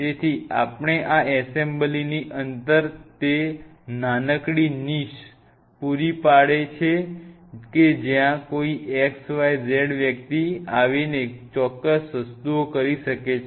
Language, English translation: Gujarati, So, we have to provide that small knish within this assembly where that xyz individual can come and do certain things